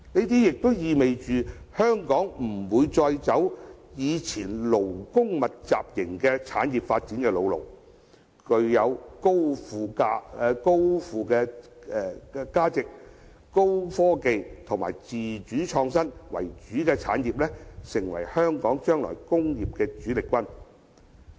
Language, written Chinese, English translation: Cantonese, 這意味香港不會再走以前勞工密集型產業的發展老路，而具有高附加值、高科技及自主創新為主的產業，將成為香港未來工業的主力軍。, This means that Hong Kong will no longer rely on labour intensive industries; instead industries with high added value engaging in high technology and autonomous innovation will be a major force in the future development of industries in Hong Kong